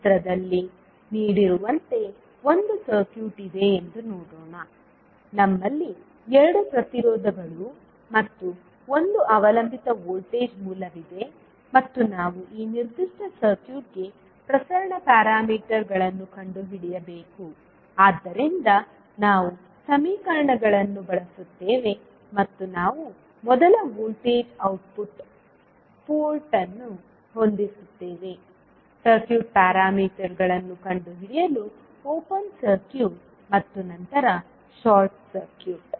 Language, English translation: Kannada, Let us see there is one circuit as given in the figure, we have two resistances and one dependent voltage source and we need to find out the transmission parameters for this particular circuit so we will use the equations and we will set first voltage the output port as open circuit and then short circuit to find out the circuit parameters